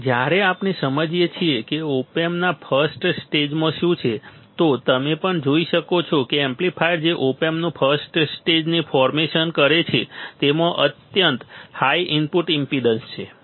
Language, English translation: Gujarati, So, when we understand what is there in the first stage of op amp, you will also see that the amplifier that is design the first stage of op amp has extremely high input impedance